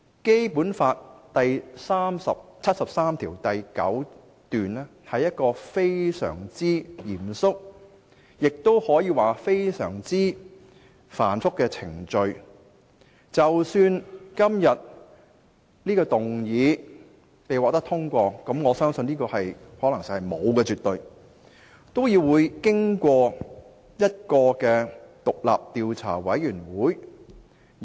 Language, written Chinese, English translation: Cantonese, 《基本法》第七十三條第九項訂明非常嚴謹及繁複的程序，即使本議案獲得通過——但我相信可能性是絕無僅有——也須委托獨立調查委員會調查。, Article 739 of the Basic Law has set out very stringent and complex procedures . Even if this motion is passed―which I believe will be highly unlikely―an independent investigation committee has to be mandated for the investigation